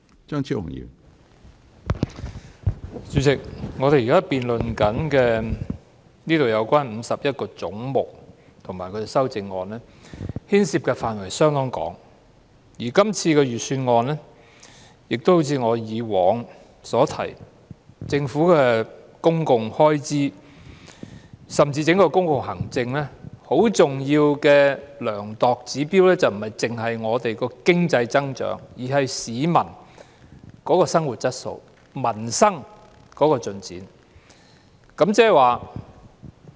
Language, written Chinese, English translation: Cantonese, 主席，我們現時辯論有關51個總目的修正案，牽涉的範圍相當廣泛，而今次的財政預算案亦好像我以往所說，就政府的公共開支——甚至整個公共行政——是否恰當，很重要的量度指標不單是本港的經濟增長，還有市民的生活質素、民生的進展。, Chairman our present debate concerns the amendments in respect of 51 heads and covers a fairly wide range of subjects . Regarding this Budget just like what I said before the essential indicator to gauge the appropriateness of the Governments public expenditure―and even the public administration as a whole―is not limited to Hong Kongs economic growth but also peoples quality of life and the improvement in peoples livelihood